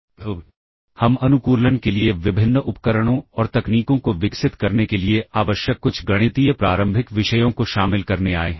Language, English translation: Hindi, So, we have come covered some of the mathematical preliminaries required to develop the various the various tools and techniques for optimization